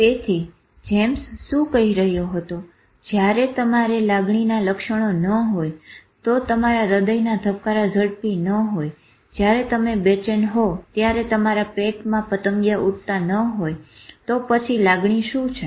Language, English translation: Gujarati, So what James was saying that if you do not have body symptoms of emotion, that your heartbeat doesn't go fast, when you are anxious, your tummy doesn't go butterflies, then what is the emotion